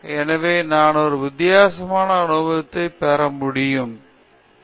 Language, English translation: Tamil, So, that I can get a different experience, that’s all